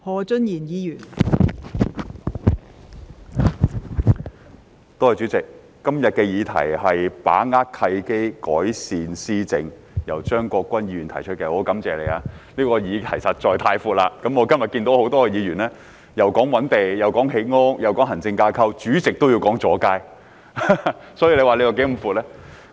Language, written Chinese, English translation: Cantonese, 代理主席，感謝張國鈞議員今天提出"把握契機，改善施政"的議案，但議題範圍實在太寬闊，以致有議員提到覓地、建屋、行政架構，代理主席甚至提到阻街問題，可見其範圍是如何寬闊。, Deputy President I thank Mr CHEUNG Kwok - kwan for moving the motion on Seizing the opportunities to improve governance today but the scope of the subject is so wide that Members have touched on a number of issues like identification of land housing production administrative structure and the Deputy President has even mentioned the problem of street obstruction in her speech